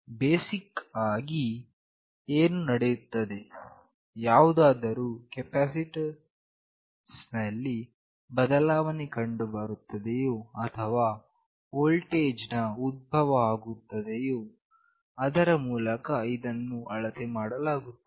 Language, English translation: Kannada, What happens basically is there is a change in capacitance or there is a generation of voltage through which it is measured